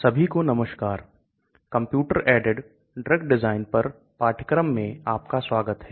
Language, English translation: Hindi, Hello everyone, welcome to the course on computer aided drug design